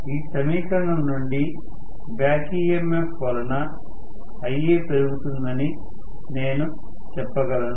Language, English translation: Telugu, Because back EMF comes down from this equation I can say Ia will increase